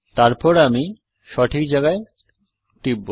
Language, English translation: Bengali, I will then click at the correct position